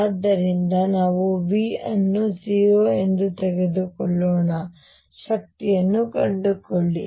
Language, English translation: Kannada, So, let us take V to be 0, find the energies